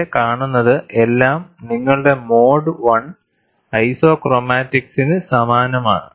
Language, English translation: Malayalam, And this is very similar to your mode one isochromatics